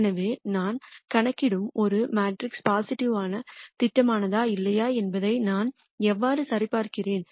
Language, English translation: Tamil, So, how do I check if a matrix that I compute is positive definite or not